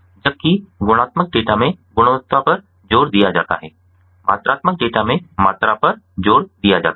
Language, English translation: Hindi, whereas in qualitative data the emphasis is on quality, in the quantitative data the emphasis is on quantity